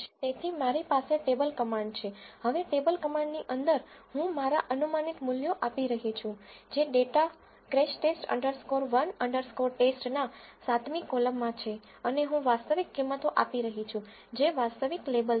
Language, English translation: Gujarati, So, I have the table command, now inside the table command I am giving my predicted values which is in the column 7 from the data crashTest underscore 1 underscore test, and I am giving the actual values which are the actual labels